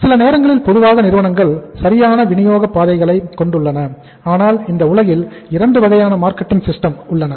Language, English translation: Tamil, Sometimes, normally the firms have the proper distribution channels right; firms have proper distribution channels but say we have 2 kind of the marketing systems in this world